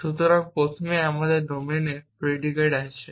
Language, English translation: Bengali, So, first we have domain predicates